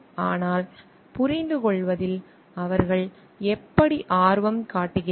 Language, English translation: Tamil, But how they take lot of interest in understanding